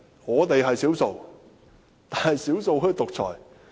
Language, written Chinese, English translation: Cantonese, 我們是少數，但少數竟可以獨裁？, We are the minority but how can the minority become dictators?